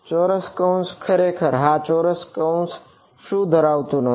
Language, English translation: Gujarati, Square bracket actually yeah square bracket should not include the